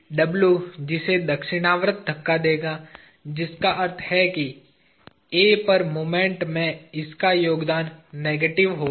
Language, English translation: Hindi, W will push it clock wise, which means its contribution to moment at A will be negative